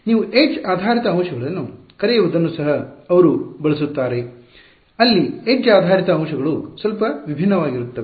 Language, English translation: Kannada, They also use what you call edge based elements, there edge based elements are slightly different